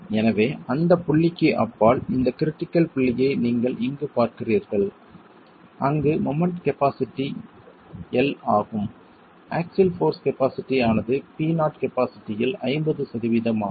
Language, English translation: Tamil, So beyond that point, this critical point that you see here where the moment capacity is 1, the axial force capacity is 50% of the capacity P0, the wall starts cracking